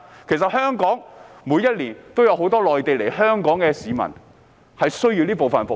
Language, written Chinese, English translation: Cantonese, 其實，每年也有很多從內地來港的市民需要這部分的服務。, In fact every year a lot of people coming to Hong Kong from the Mainland need such services